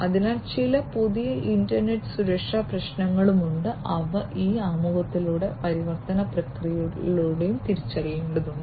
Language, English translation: Malayalam, So, there are some new internet security issues that will have to be identified through this introduction and transformation process